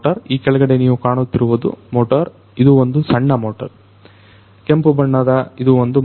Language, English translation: Kannada, So, underneath as you can see this is a motor this is the small one, the red colored one is a motor